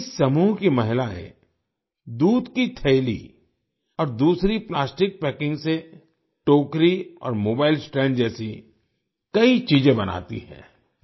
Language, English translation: Hindi, The women of this group make many things like baskets and mobile stands from milk pouches and other plastic packing materials